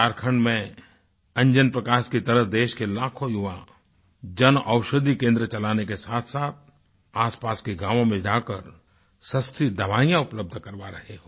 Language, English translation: Hindi, Like Anjan Prakash in Jharkhand, many lakhs of young besides running the Yuva Jan Aushidhi kendras in the country are providing affordable medicines in the nearby villages